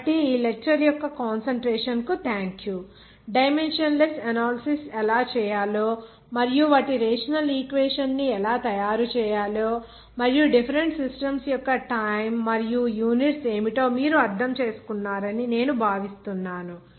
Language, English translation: Telugu, So Thank you for your concentration of this lecture that I think you understood that how to do the dimensional analysis and how to make their rational equation and what are the different systems of time and units that you understood